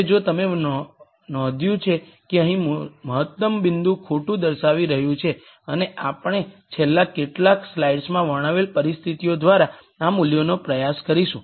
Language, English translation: Gujarati, Now, if you notice the optimum point is going to lie here and we are going to try and find out this value through the conditions that we described in the last few slides